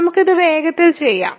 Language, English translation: Malayalam, So, let us quickly do this